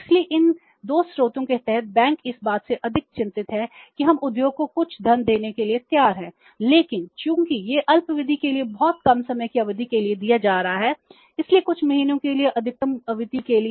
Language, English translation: Hindi, So, under these three sources banks are more concerned about that we are ready to give the funds to the industry but since it is being given for the short term very short term period of time sometime for a few months or maximum for a period of 12 months one year